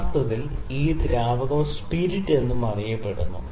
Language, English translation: Malayalam, Actually this fluid, fluid is also known as spirit